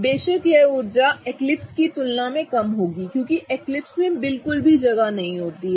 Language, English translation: Hindi, Of course this energy will be lower than the eclipsed confirmation because in eclipse there is absolutely no space